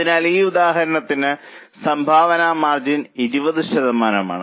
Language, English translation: Malayalam, So, 20% is known as contribution margin for this example